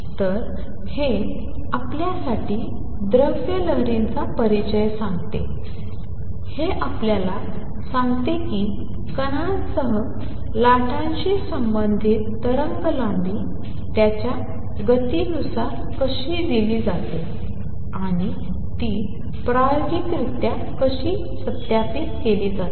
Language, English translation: Marathi, So, this is this concludes introduction to matter waves to you it tells you how the wavelength associated with the waves with the particle is given in terms of its momentum, and how it is experimentally verified